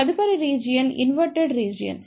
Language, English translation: Telugu, The next region is the Inverted Region